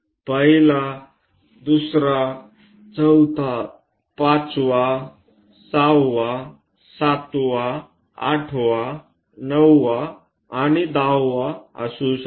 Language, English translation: Marathi, 1st, 2nd, 3rd, 4th, 5th, 6th, 7th, 8th, 9 and 10